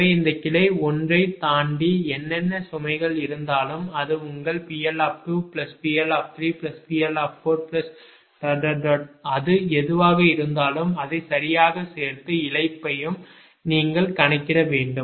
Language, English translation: Tamil, so whatever loads are there beyond this ah branch one, that is your p l two plus l three plus four, whatever it is, you sum it up right plus the loss